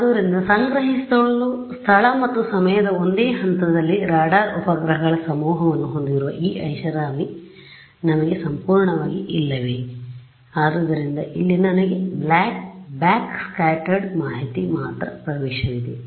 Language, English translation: Kannada, So, do not I absolutely do not have this luxury of having a swarm of radar satellites at the same point in space and time to collect; so, here I have access only to backscattered information